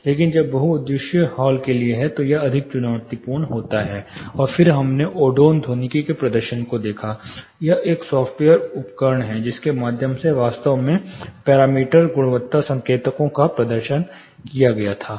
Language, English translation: Hindi, Whereas, if it is for multipurpose hall it is going to be more challenging, and then we looked at the demonstration of Odeon acoustics, it is a software tool through which actually the parameter, quality indicators were demonstrated